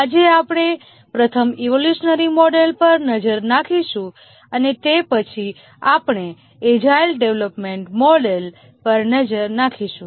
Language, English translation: Gujarati, Today we will first look at the evolutionary model and then we will look at the agile development model